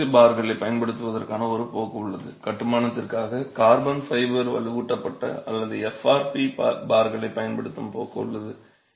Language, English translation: Tamil, There is a trend to use epoxy bars, there is a tendency to use carbon fiber reinforced or FRP bars for construction